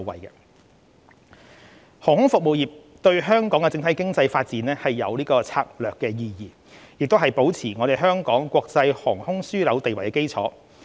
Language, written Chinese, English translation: Cantonese, 航空服務業對香港的整體經濟發展具策略意義，也是保持香港國際航空樞紐地位的基礎。, The aviation industry plays a strategic role in the economic development of Hong Kong and is the cornerstone of Hong Kongs status as an international aviation hub